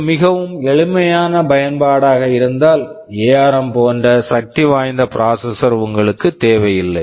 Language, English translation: Tamil, If it is a very simple application you do not need a processor as powerful as ARM